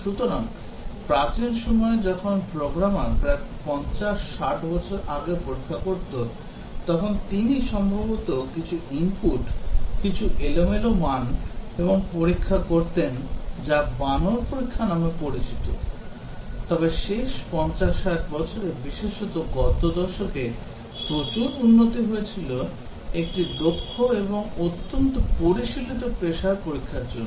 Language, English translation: Bengali, So, the very ancient in early times when the programmer about 50, 60 years back used to test, he would possibly just do some input, some random values and test called as monkey testing, but then in the last 50, 60 years especially last decade lot of development has taken place making testing a very specialized and very sophisticated profession